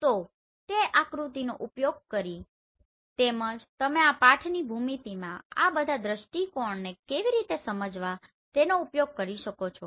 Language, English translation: Gujarati, So by using that diagram as well as you can use this text how to explain all this view in geometry